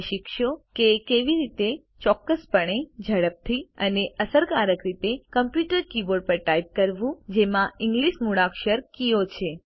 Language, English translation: Gujarati, You will learn how to type: Accurately, quickly, and efficiently, on a computer keyboard that has the English alphabet keys